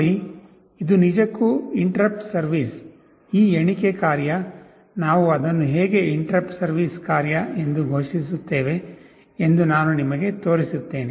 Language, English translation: Kannada, See, this is actually the interrupt service routine, this count function, I will show you how we declare it as an interrupt service routine